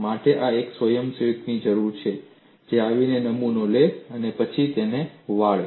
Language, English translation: Gujarati, I need a volunteer to come and take the specimen and then twist it